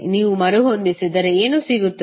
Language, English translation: Kannada, If you rearrange what you will get